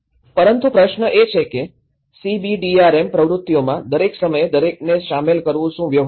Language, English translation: Gujarati, But the question is; is it practical to involve everyone all the time in CBDRM activities